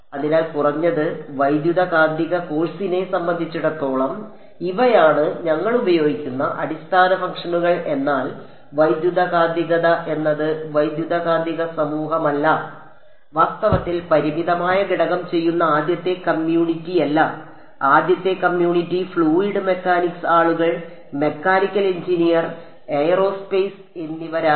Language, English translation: Malayalam, So, at least as far as electromagnetics course these are the kinds of basis functions we use, but electromagnetics are not the electromagnetic community is not the first community to do finite element in fact, the first community were fluid mechanics people, mechanical engineer, aerospace engineers